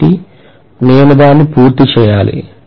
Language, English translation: Telugu, So I should complete it